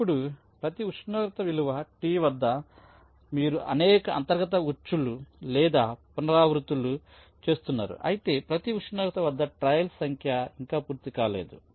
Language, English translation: Telugu, now, at every temperature, value t, you are carrying out a number of inner books or iterations, while (Refer Time 24:00) number of trials at each temperature not yet completed